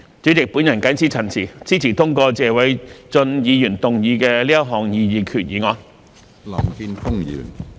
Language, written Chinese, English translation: Cantonese, 主席，我謹此陳辭，支持通過謝偉俊議員動議的這項擬議決議案。, With these remarks President I support the passage of the proposed resolution moved by Mr Paul TSE